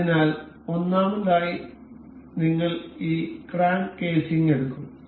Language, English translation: Malayalam, So, first of all we will take this crank casing